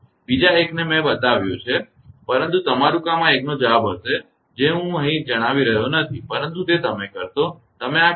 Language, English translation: Gujarati, Another one I have made it, but your job will be to this one answer I am not telling here but you will do it right, you will do this